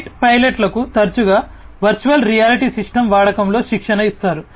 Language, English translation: Telugu, Fight pilots are also often trained in the using, you know, virtual reality systems